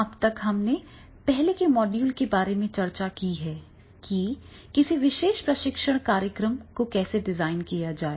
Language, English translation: Hindi, So, far we have discussed about in earlier model about how to design a particular training programs